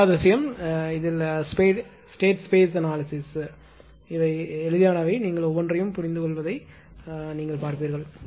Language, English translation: Tamil, And second thing is state space analysis and you will find things are easy things are easy, but you will see that ah you are understanding each and everything